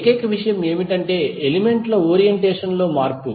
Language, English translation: Telugu, The only thing is that the change in the orientation of the elements